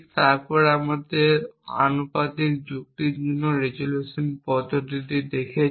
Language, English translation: Bengali, Then we saw the resolution method for proportional logic